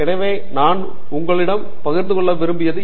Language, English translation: Tamil, So, that is something that I wanted to share with you